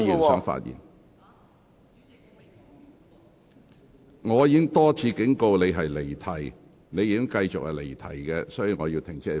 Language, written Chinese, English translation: Cantonese, 黃議員，我已多次警告，但你仍繼續離題，所以我請你停止發言。, Dr WONG despite my repeated warnings you have still strayed from the question . Therefore I have called on you to stop speaking